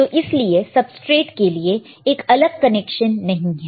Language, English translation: Hindi, So, we do not have a separate connection for the substrate